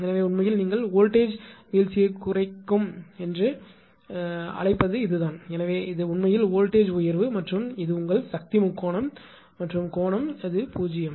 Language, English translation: Tamil, So, this is actually your what you call that your that is that voltage I mean as far as voltage drop deduction is there, so this much actually is the voltage rise right and this is your power triangle and angle of course, is theta right